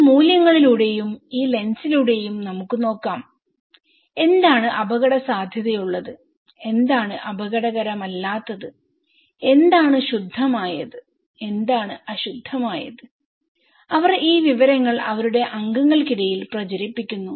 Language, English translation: Malayalam, And through these values; through this lens let’s see, what is risky what is not risky, what is pure, what is impure okay and they disseminate this informations among their members